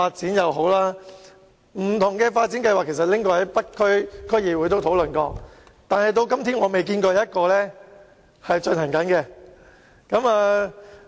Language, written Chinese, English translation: Cantonese, 當局曾把不同的發展計劃提交北區區議會討論，但至今仍未落實任何一項計劃。, However after submitting different development plans to the North District Council for discussion the authorities have finalized none of the plans by now